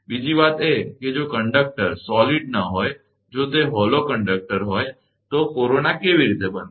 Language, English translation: Gujarati, Another thing is, if the conductor is not a solid, if it is a hollow conductor then, how that corona will form